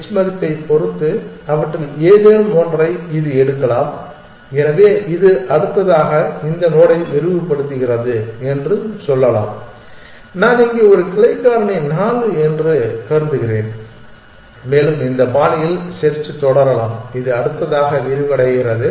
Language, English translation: Tamil, It can take any one of them depending on the h value, so let us say that it expands this node next and I am assuming here a branching factor 4 and the search proceeds in this fashion may be this is the next one that it expands